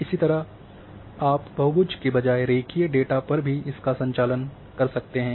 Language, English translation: Hindi, Similarly, you can also perform instead of polygons you can also perform on line data